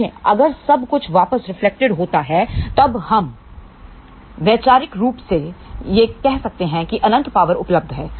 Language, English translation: Hindi, See, if everything is reflected back; then, we can conceptually say well infinite power is available